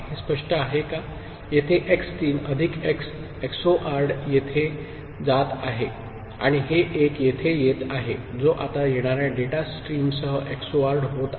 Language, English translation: Marathi, So, x 3 plus x XORed here going here and 1 is coming over here which is now getting XORed with the incoming data stream, right